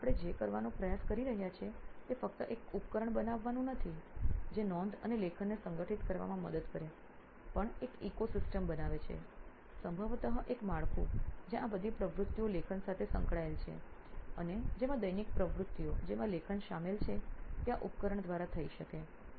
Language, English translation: Gujarati, So what we are trying to do is not just build a device which helps writing and organization of notes but also creates an ecosystem, probably an infrastructure where all these activities associated with writing and also daily activities which include writing can be done through this device